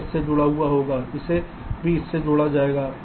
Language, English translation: Hindi, this will be connected to this